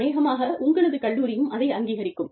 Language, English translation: Tamil, Maybe, your college will recognize it